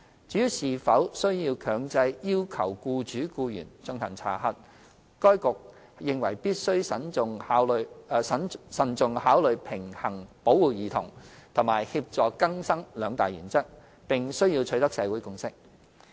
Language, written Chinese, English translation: Cantonese, 至於是否需要強制要求僱主/僱員進行查核，該局認為必須慎重考慮平衡保護兒童及協助更生兩大原則，並需要取得社會共識。, Regarding whether it is necessary to make it mandatory for employersstaff to undertake checking the Security Bureau considers that a balance must be struck between the two major principles of protecting children and facilitating rehabilitation . Consensus in the community will also be required